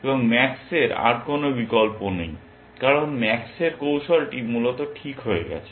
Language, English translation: Bengali, And max has no more choices left because max’s strategy has frozen essentially